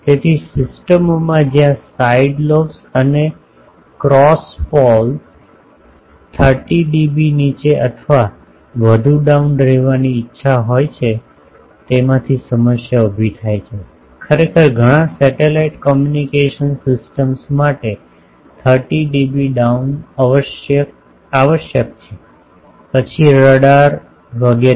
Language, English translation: Gujarati, So, for systems where side lobes and cross pole are desired to be 30 dB down 30 dB or more down this creates a problem, actually 30 dB down is required for many of the satellite communication systems; then radars etc